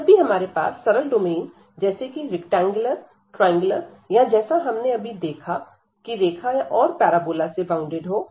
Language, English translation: Hindi, So, this when we have the simple domain like the rectangular triangular or when we have seen with which was bounded by the line and the parabola